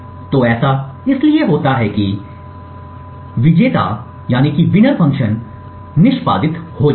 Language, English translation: Hindi, So, this happens because the winner function gets executed